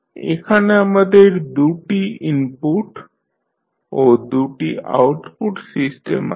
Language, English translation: Bengali, Here we have 2 input and 2 output system